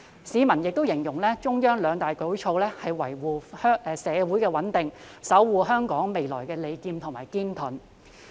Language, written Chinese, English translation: Cantonese, 市民更形容中央的兩大舉措，是維護社會穩定、守護香港未來的"利劍"和"堅盾"。, Members of the public even describe the two major measures of the Central Authorities as the sharp sword and hard shield for maintaining social stability and safeguarding the future of Hong Kong